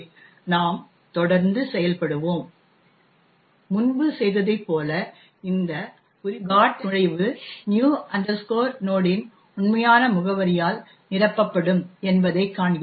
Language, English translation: Tamil, Will continue executing and what we see as done before that this particular GOT entry would be fill with the actual address of new node